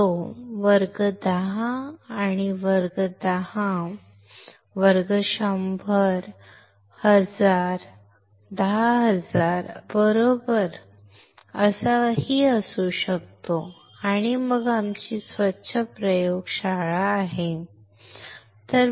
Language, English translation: Marathi, It can be class 10, class 10, class 100, class 1000, class 100000 right and then we have our clean laboratory, all right